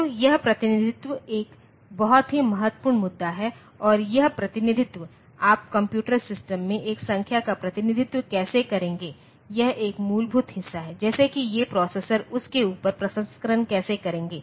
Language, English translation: Hindi, So, this representation is a very important issue and that representation, how are you going to represent a number in the computer system is a fundamental part, like how these processors they will do the processing on top of that